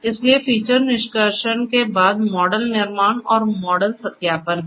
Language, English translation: Hindi, So, following feature extraction there is this model creation and model validation